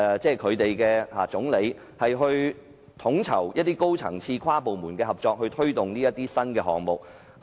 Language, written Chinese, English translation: Cantonese, 新加坡總理負責統籌高層次及跨部門的合作，推動新項目。, The Prime Minister of Singapore is responsible for coordinating high - level and inter - departmental cooperation and promoting new projects